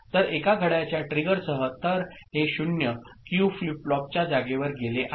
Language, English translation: Marathi, So, with one clock trigger; so these 0 goes to this place that is flip flop Q